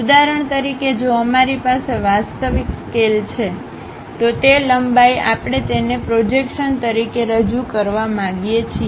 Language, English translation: Gujarati, For example, if we have a real scale, that length we want to represent it as a projection